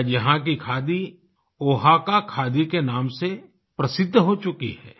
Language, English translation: Hindi, Today the khadi of this place has gained popularity by the name Oaxaca khaadi